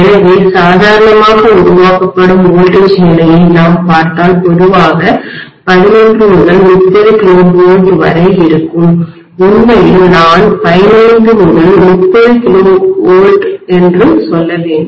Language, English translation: Tamil, So normally the generated voltage level if we look at is generally about 11 to 30 kilovolts, in fact I should say 15 to 30 kilo volts